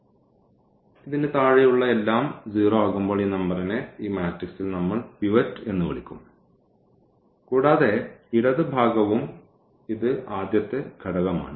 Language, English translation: Malayalam, So, this number we will call pivot in this matrix when everything below this is 0 and also the left this is the first element